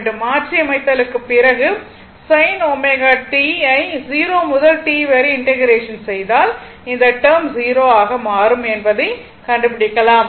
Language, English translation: Tamil, After the substitution, you will find integration of sin omega t 0 to T, you will find this term will become 0 and this one